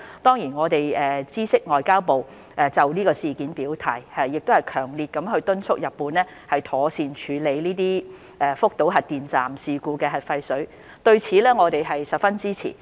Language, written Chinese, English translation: Cantonese, 當然，我們知悉外交部已就事件表態，亦強烈敦促日方妥善處理福島核電站事故的核廢水，對此我們十分支持。, Of course we are aware that MFA has indicated its stance on Japans decision and strongly urged the Japanese authorities to properly handle the nuclear wastewater from the Fukushima Nuclear Power Station . We are fully supportive of MFA